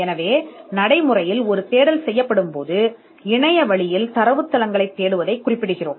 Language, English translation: Tamil, So, in practice when a search is being done we are referring to searching online databases